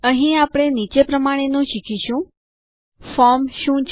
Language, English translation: Gujarati, Here, we will learn the following: What is a form